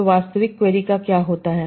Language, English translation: Hindi, So what happens to the actual query